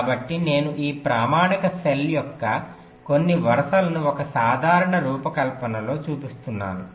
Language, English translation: Telugu, so i am showing some rows of this standard cells in a typical design